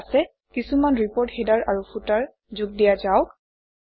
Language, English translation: Assamese, Okay, now let us add some report headers and footers